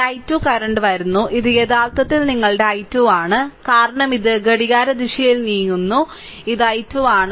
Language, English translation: Malayalam, So, this i 2 current is coming, so this is actually your i 2, because, you are moving clock wise this is i 2 right